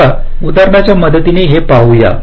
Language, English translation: Marathi, i will illustrate with this